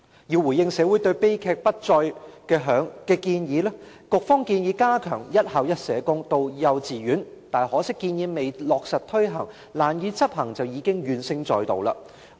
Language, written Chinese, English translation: Cantonese, 為回應社會對悲劇不再的訴求，局方建議加強幼稚園"一校一社工"的措施，可惜建議未落實推行，便因難以執行而令社工界怨聲載道。, In response to the calls in society for non - recurrence of tragedies the Bureau proposes stepping up the measure of one school one social worker in kindergartens . Regrettably the proposal has aroused grievances in the social welfare sector owing to difficulties in enforcement even before introduction